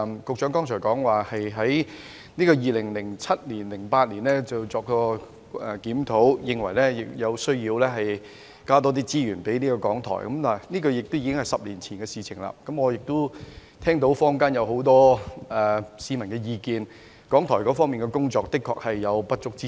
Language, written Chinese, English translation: Cantonese, 局長剛才提到，局方於2007年及2008年曾作檢討，認為有需要多撥資源給港台，但這已是10年前的事；我亦聽聞坊間有很多市民的意見，認為港台的工作確實有不足之處。, The Secretary mentioned just now that having conducted reviews in 2007 and 2008 the Bureau considered it necessary to allocate more resources to RTHK but that was a matter of 10 years ago . I have also heard many members of the community comment that there were indeed shortcomings in the work of RTHK